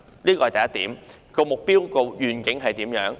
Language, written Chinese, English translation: Cantonese, 這是第一點，那目標和願景是怎樣？, This is my first point . What are the objectives and the vision?